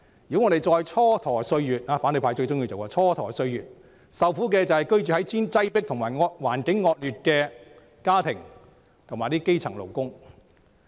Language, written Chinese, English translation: Cantonese, 如果我們再蹉跎歲月——即反對派最喜歡做的事——受苦的會是居於擠迫和惡劣環境的家庭及基層勞工。, If we keep on wasting time which is something the opposition camp likes to do those households and grass - roots workers living in the crowded and poor environment will have to suffer further